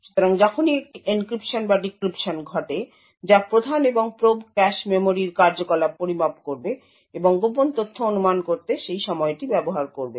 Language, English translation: Bengali, So, whenever there is an encryption or decryption that takes place the prime and probe would measure the activities on the cache memory and use that timing to infer secret information